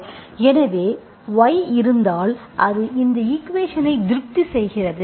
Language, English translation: Tamil, So if y is there, it satisfies this equation